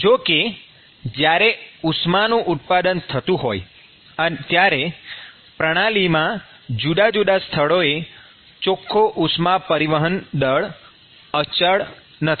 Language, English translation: Gujarati, When you have heat generation, the net heat transfer rate at different locations in the system is not constant